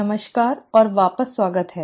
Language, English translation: Hindi, Hello and welcome back